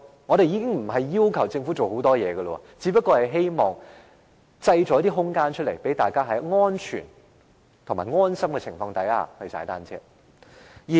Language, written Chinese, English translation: Cantonese, 我們並沒有要求政府做很多，只希望當局可以製造一些空間，讓大家在安全和安心的情況下踏單車。, We are not demanding the Government to do much but to create some room for the public to enjoy cycling in a safe environment